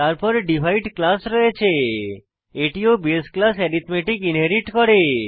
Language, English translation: Bengali, Then we have class Divide this also inherits the base class arithmetic